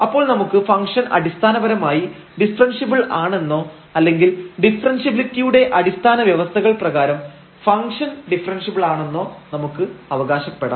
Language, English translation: Malayalam, And, then we can claim that the function is basically differentiable or we can prove that this function is differentiable based on these sufficient conditions of differentiability